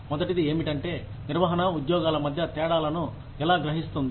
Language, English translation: Telugu, The first one is, how does the management perceive, differences in between jobs